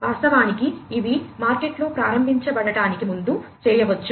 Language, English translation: Telugu, And these could be done before they are actually launched in the market